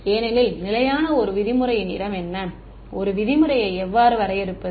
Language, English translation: Tamil, Because the locus for constant 1 norm is what; how do I define the l 1 norm